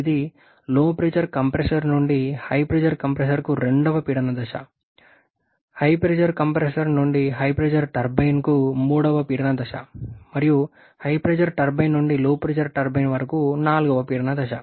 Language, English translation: Telugu, Third pressure stage from HP compressor to HP turbine; and the fourth pressure stage from HP turbine to the LP turbine